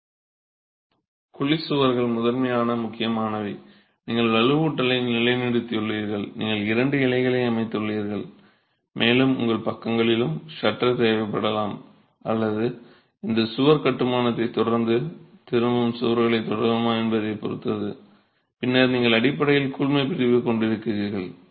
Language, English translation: Tamil, The cavity walls would primarily mean you have placed the reinforcement in position, you have constructed the two leaves and you might need shuttering on the sides or depends on whether there is wall construction that is continuing, return walls that are continuing and then you basically grout that cavity